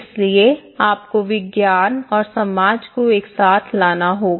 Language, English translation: Hindi, So you have to bring the science and society together